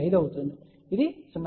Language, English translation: Telugu, 5, this will be say 0